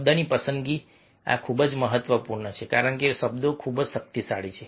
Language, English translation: Gujarati, choice of word: this is very important because the words are very, very powerful